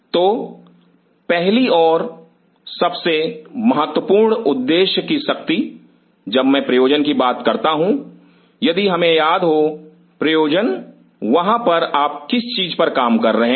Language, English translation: Hindi, So, first and foremost the power of the objective, when I talk about the purpose if we remember the purpose out here what are you working on